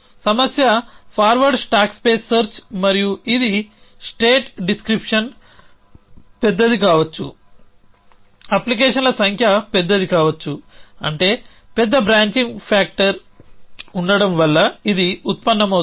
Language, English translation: Telugu, So, the problem is forward stack space search and this arises from the fact that state description can be large, the number of applications can be large is that there is a large branching factor